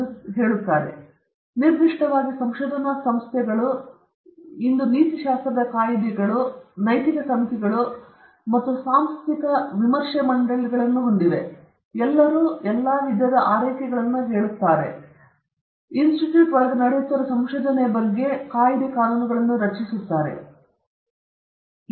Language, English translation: Kannada, And particularly, in research institutions and organizations we have ethics bodies today or ethics committees or institutional review boards; all of them will take care of or will look into that kind of research that is happening in within the institute, within the organization, and try to suggest ethical guidelines to be followed when researchers conduct their research